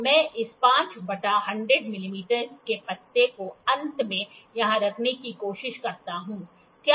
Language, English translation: Hindi, So, let me try to put this 5 by 100 leaf here at the end